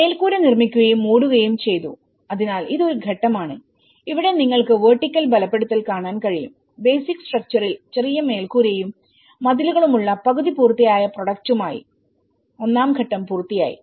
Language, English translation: Malayalam, So, the roof was built and covered, paved so this is a stage one as you can see the vertical reinforcement and the stage one is completed with a half finished product with a small roof walls on the basic structure